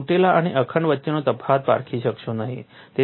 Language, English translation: Gujarati, You will not be able to distinguish between broken and unbroken parts